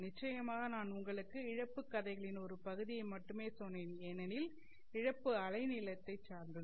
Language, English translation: Tamil, Of course I have told you only one part of the loss story because loss is also wavelength dependent